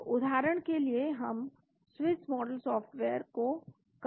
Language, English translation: Hindi, So, for example we can Swiss Model software